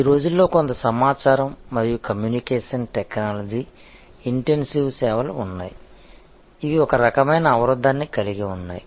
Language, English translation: Telugu, There are nowadays some information and communication technology intensive services which have some kind of barrier